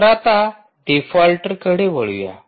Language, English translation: Marathi, so lets move on default